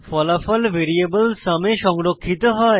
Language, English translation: Bengali, The result is then stored in variable sum